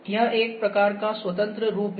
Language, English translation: Hindi, This is a kind of a free form ok